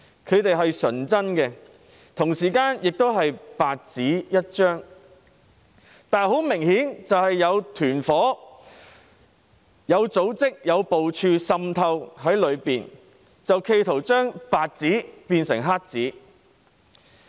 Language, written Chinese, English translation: Cantonese, 他們是純真的，同時亦是白紙一張，但很明顯有團夥和組織有部署地滲透在其中，企圖把白紙變成黑紙。, These innocent students are simply a piece of white paper but there are obviously cliques and organizations infiltrating school campuses in a systematic way in an attempt to turn white paper into black paper